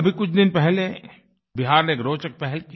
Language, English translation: Hindi, Just a while ago, Bihar launched an interesting initiative